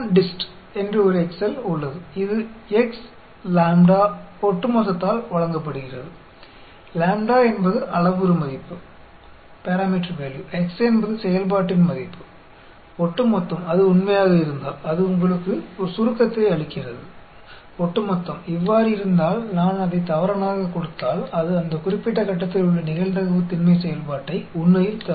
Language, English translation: Tamil, There is an Excel EXPONDIST, which is given by x comma lambda comma cumulative; lambda is the parameter value; x is the value of the function; cumulative, if it is true, it gives you a summation; cumulative, if it is, if I give it as false, then it will return the probability density function at that particular point, actually